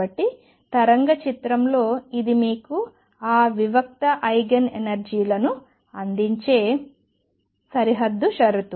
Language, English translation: Telugu, So, in the wave picture it is the boundary condition that gives you those discrete Eigen energies